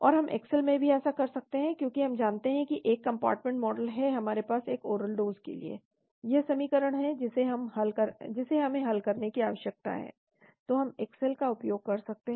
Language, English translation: Hindi, And we can do this even in Excel, because we know that for a one compartment model we have for a oral dose this is the equation we need to solve so we can use Excel